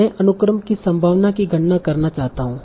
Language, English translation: Hindi, I want to compute the probability of the sequence